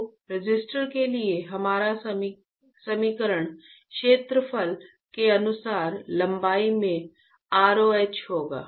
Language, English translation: Hindi, So, for resistor our equation would be rho into length by area, correct